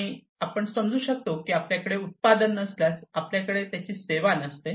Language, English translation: Marathi, And we can understand that if you do not have product, you do not have its services